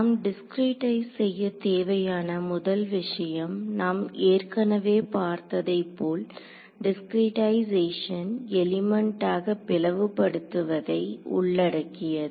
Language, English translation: Tamil, So, for discretization the first thing that we have to that we have already seen as discretization involves splitting it into elements right